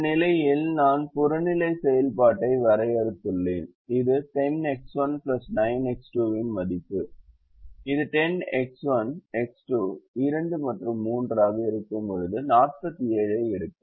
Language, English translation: Tamil, in this position i have defined the objective function, which is the value of ten x one plus nine x two, which takes forty seven